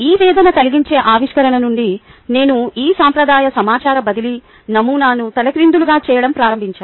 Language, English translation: Telugu, since this agonizing discovery, i have begun to turn this traditional information transfer model of education upside down